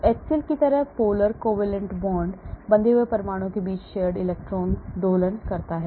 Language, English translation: Hindi, Polar covalent bond like HCl, the shared electron oscillates between the bonded atoms